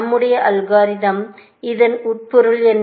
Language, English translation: Tamil, What is the implication of this on our algorithm